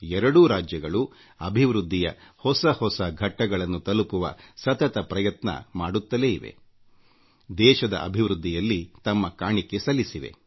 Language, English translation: Kannada, Both states have made constant strides to scale newer heights of development and have contributed toward the advancement of the country